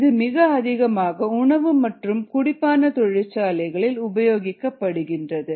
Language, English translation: Tamil, this is also used heavily in the industry, in the food industry industry